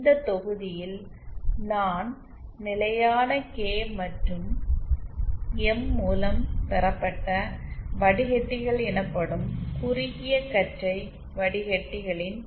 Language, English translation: Tamil, In this module I will be introducing to another class of narrow band filters called constant K and M derived filters